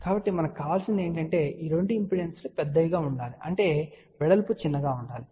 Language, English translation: Telugu, So, what we want is that these two impedances should be large that means, the width should be small